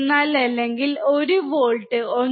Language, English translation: Malayalam, 04 or 1 volt to 1